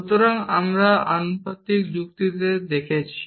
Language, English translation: Bengali, So, we have been looking at reasoning in proportional logic